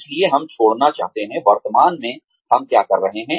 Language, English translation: Hindi, So, we want to leave, what we are doing currently